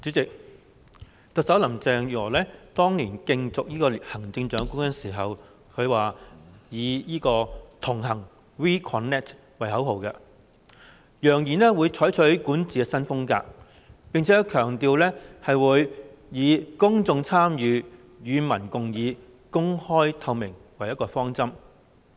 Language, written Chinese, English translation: Cantonese, 主席，特首林鄭月娥當年競選行政長官時，以"同行 We Connect" 為口號，揚言會採取管治新風格，並且強調會以公眾參與、與民共議、公開透明為方針。, President the Chief Executive Carrie LAM used the slogan We Connect when she was running for the Chief Executive . She claimed that she would adopt a new style of governance and emphasized that she would follow an open and transparent principle of public participation and public consultation